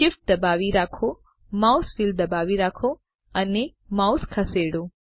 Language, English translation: Gujarati, Hold shift, press down the mouse wheel and move the mouse